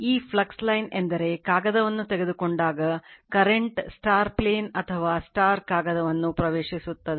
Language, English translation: Kannada, This flux line means you take a paper, and current is entering into the plane or into the paper right